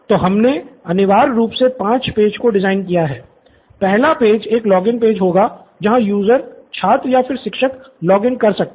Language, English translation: Hindi, So we essentially designed five pages, the first page would be a login page where the user, student or teachers logs in